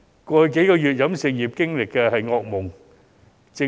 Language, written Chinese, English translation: Cantonese, 過去數月，飲食業經歷的是噩夢。, The past few months were a nightmare to the catering sector